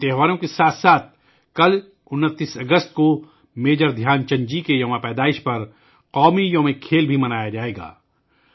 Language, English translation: Urdu, Along with these festivals, tomorrow on the 29th of August, National Sports Day will also be celebrated on the birth anniversary of Major Dhyanchand ji